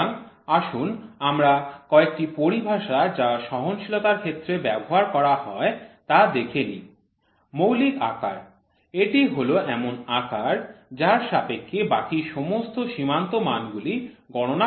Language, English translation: Bengali, So, let us see some of the terminologies which are used in tolerances basic size, is the size in relation to which all limits of size are derived